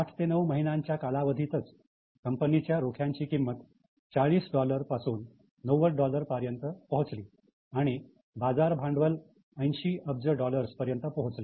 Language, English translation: Marathi, So, within 8 to 9 months time, stock price rose from $40 to $90 and the market capitalization was $80 billion